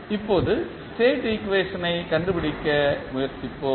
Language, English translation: Tamil, Now, let us try to find out the state equation